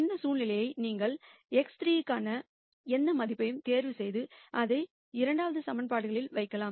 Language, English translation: Tamil, You can think of this situation as one where you could choose any value for x 3 and then simply put it into the 2 equations